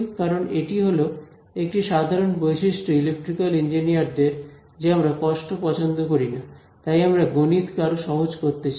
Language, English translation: Bengali, Again this is it is a simple property of electrical engineers we do not like pain so we want to make math easier right